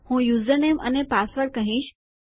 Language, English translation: Gujarati, I can say username and password